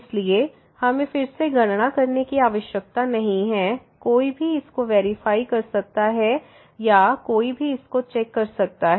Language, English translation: Hindi, So, we do not have to compute this again one can check or one can verify this